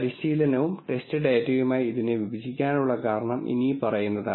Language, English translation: Malayalam, And the reason for splitting this into training and test data is the following